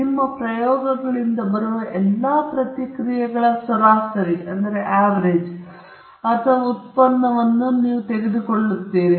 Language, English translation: Kannada, You take the average of all the responses from your experiments or output from your experiments